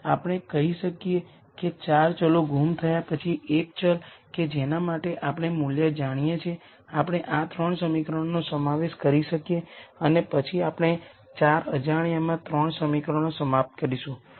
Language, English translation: Gujarati, We have let us say 4 variables missing then the 1 variable that we know the value for, we can substitute into these 3 equations and then we will end up with 3 equations in 4 unknowns